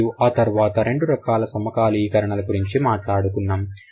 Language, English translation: Telugu, And then we also talked about two different kinds of syncretism